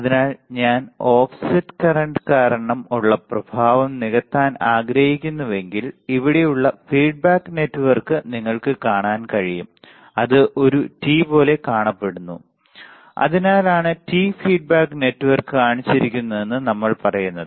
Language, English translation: Malayalam, So, if I want to compensate the effect of due to the offset current what should I do, then the feedback network right here you can see here it looks like a T right it looks like a T that is why we say t feedback network shown in the figure is a good solution